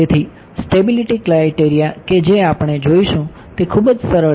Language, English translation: Gujarati, So, the stability criteria that we will look at is something very simple